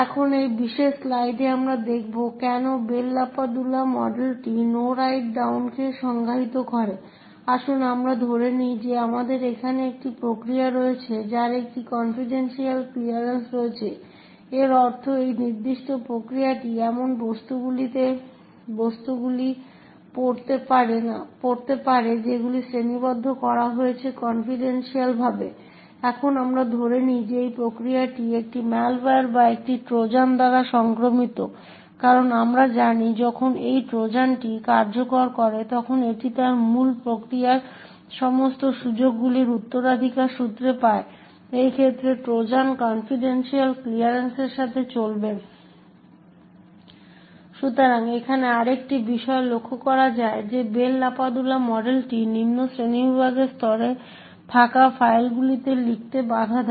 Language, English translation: Bengali, Now in this particular slide we will see why the Bell LaPadula model defines No Write Down, let us assume that we have a process over here which is having a confidential clearance, this meant to say this particular process can read objects that are classified as confidential, now let us assume that this process is infected by a malware or a Trojan as we know when this Trojan executes it inherits all the privileges of its parent process, in this case the Trojan will run with a clearance of confidential